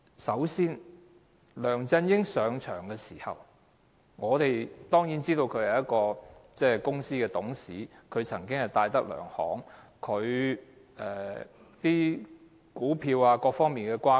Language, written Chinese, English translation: Cantonese, 首先，梁振英上任時，我們當然知道他曾經是戴德梁行的董事，但我們不清楚他在股票等方面的轇轕。, First when LEUNG Chun - ying assumed office we certainly knew that he had been a director of DTZ Holdings plc but we did not know the details of his shareholdings etc